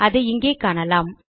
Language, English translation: Tamil, We can see that here